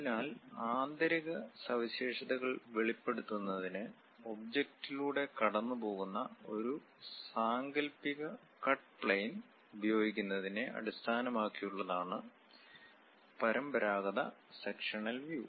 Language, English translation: Malayalam, So, traditional section views are based on the use of an imaginary cut plane that pass through the object to reveal interior features